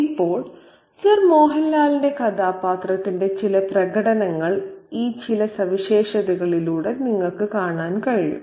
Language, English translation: Malayalam, Now, some manifestations of Sir Muhanlal's character can be seen through some of these features